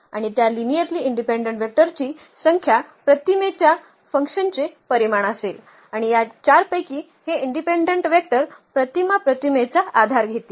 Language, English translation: Marathi, And the number of those linearly independent vectors will be the dimension of the image F and those linearly independent vectors among all these 4 will form basis of the image F